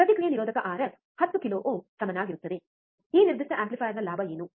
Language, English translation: Kannada, Feedback resistor R f equals to 10 kilo ohm, what will be the gain of this particular amplifier